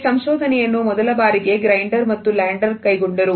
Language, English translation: Kannada, This research was taken up for the first time by Grinder and Bandler